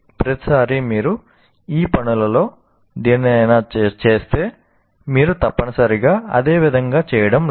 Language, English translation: Telugu, Possibly each time you do any of these things, you are not necessarily doing exactly the same way